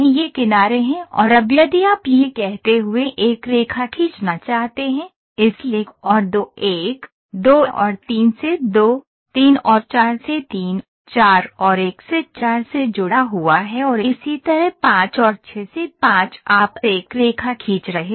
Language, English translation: Hindi, These are the edges and now if you want to draw a line connecting that, so 1 and 2 is connected by 1, 2 and 3 by 2, 3 and 4 by 3, 4 and 1 by 4 and in the same way 5 and 6 by 5 you are drawing a line